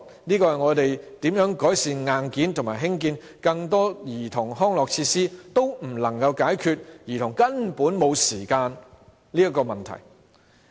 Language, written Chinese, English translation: Cantonese, 不論我們如何改善硬件，以及興建更多兒童康樂設施，仍無法解決兒童根本沒有時間玩耍的問題。, No matter how we improve the hardware and build more recreational facilities for children the problem of children having no time for play is yet to be resolved